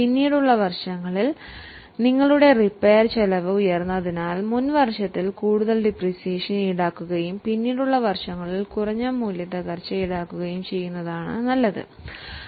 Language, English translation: Malayalam, Over a period of time, it falls because in the latter years your repair expense is high, it is good to charge more depreciation in the earlier year and charge lesser depreciation in the later year